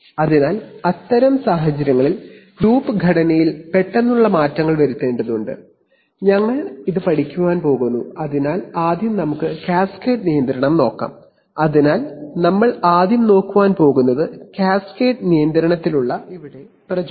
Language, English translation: Malayalam, So in such situations sudden changes to the loop structure has to be made and we are going to study that, so let us first look at cascade control, so we are first going to look at the, at a motivation for cascade control